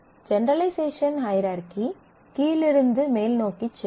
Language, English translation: Tamil, The generalization hierarchy goes in a bottom up manner